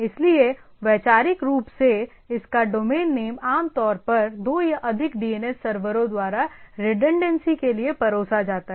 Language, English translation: Hindi, So, conceptually is domain name is typically served by two or more DNS server for redundancy